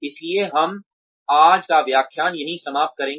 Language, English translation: Hindi, So, we will end today's lecture here